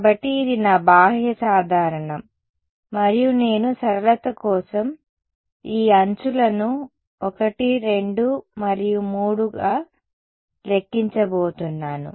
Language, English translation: Telugu, So, this is my n hat outward normal and I am just going to number these edges as 1, 2 and 3 for simplicity